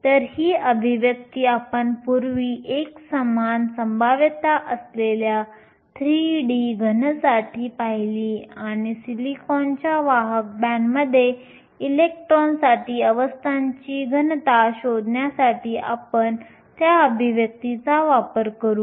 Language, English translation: Marathi, So, this expression we saw earlier for a solid with a uniform potential a 3d solid and we will use that expression to find the density of states for electron in the conduction band of silicon